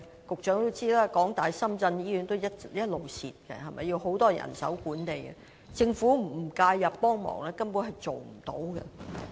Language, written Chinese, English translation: Cantonese, 局長也知道，香港大學深圳醫院不斷虧蝕，由於需要很多人手來管理，政府不介入幫忙，根本無法辦到。, The Secretary should also be aware that the University of Hong Kong - Shenzhen Hospital has been losing money . Since such a hospital requires huge manpower for management it simply cannot operate well if the Government does not step in and offer support